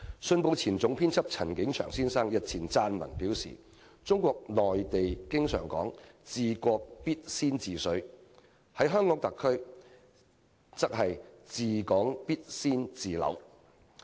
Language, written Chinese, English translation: Cantonese, 《信報》前總編輯陳景祥先生日前撰文表示，中國內地經常說"治國必先治水"；在香港特區，則是"治港必先治樓"。, Isnt it very sad indeed? . Mr CHAN King - cheung former chief editor of the Hong Kong Economic Journal stated in a recent article that while people in Mainland China always hold that taming the rivers is the key to ruling the country for the SAR taming the property market is the key to ruling the territory